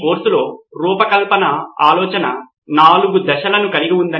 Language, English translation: Telugu, So there are two phases in design thinking